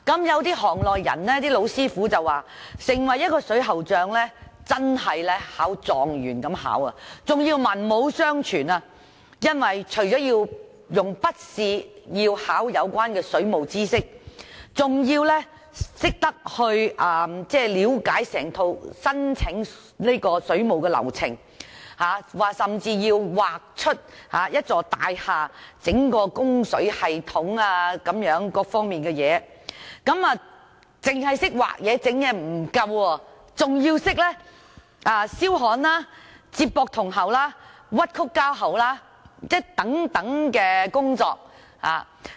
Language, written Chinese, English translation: Cantonese, 有行內老師傅說，要成為一名水喉匠真的好像考狀元般，更要文武雙全，因為除了考水務知識的筆試，還要了解整套申請供水的流程，甚至要畫出一座大廈整個供水系統各方面的圖示，不單要懂得畫圖、安裝等，還要懂得燒焊、接駁銅喉、屈曲膠喉等工作。, According to the veteran plumbers in the trade in order to become a plumber one really has to go through a lot of assessments and has to be well versed in both knowledge and skills . Because apart from taking the written tests relating to waterworks knowledge he also has to understand the whole procedures of applying for water supply and even has to draw the various diagrams of the entire water supply system in a building . In addition to diagram drawing and installation of fittings he also has to know the works of welding connecting copper pipes and bending of plastic pipes